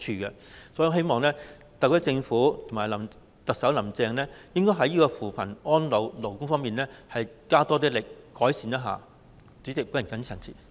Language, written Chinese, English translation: Cantonese, 因此，我希望特區政府及特首"林鄭"在扶貧、安老、勞工方面加大改善的力度。, Therefore I hope that the SAR Government and the Chief Executive Carrie LAM will intensify their efforts in poverty alleviation elderly care and labour issues